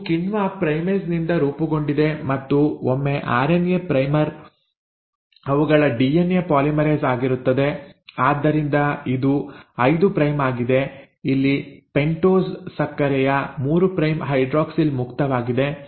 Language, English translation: Kannada, Now this is formed by the enzyme primase and once the RNA primer is there DNA polymerase, so this is 5 prime, so the 3 prime hydroxyl here is free, right, of the pentose sugar